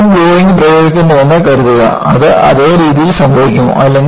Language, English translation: Malayalam, Suppose, I apply the load again, will it happen in the same fashion